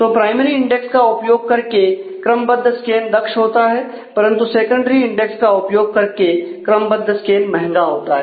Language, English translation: Hindi, So, sequential scan using primary index is efficient, but sequential scan using secondary index is expensive